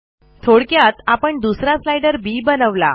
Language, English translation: Marathi, We make another slider b